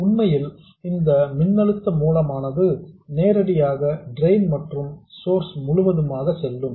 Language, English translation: Tamil, Originally this voltage source was directly across the drain and source